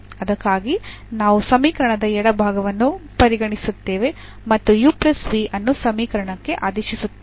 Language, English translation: Kannada, So, for that we will consider this equation the left hand side of the equation and substitute this u plus v into the equation